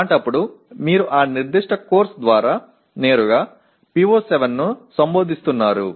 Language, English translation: Telugu, In that case you are directly addressing PO7 through that particular course